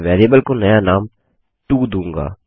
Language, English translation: Hindi, I will rename the variable as to instead